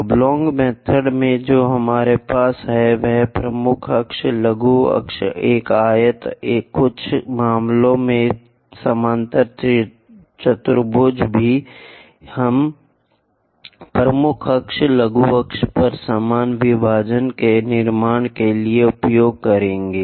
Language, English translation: Hindi, In rectangle method or oblong method, what we have is major axis, minor axis, a rectangle; in some cases parallelogram also we will use to construct equal number of divisions on the major axis, minor axis